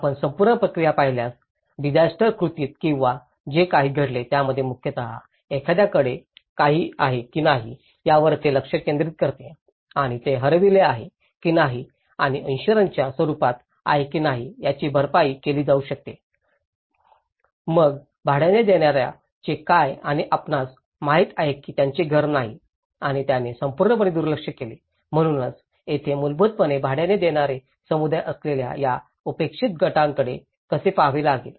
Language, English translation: Marathi, If you look at the whole process, in the disaster acts or whatever they has been, it is mainly focus on whether someone owns something and whether it is lost and so that he can be compensated whether in the form of insurance, whether in the form of; then what about a renter; you know he was not having a house and he was completely ignored, so that is where one has to look at how these neglected groups who are basically the renting community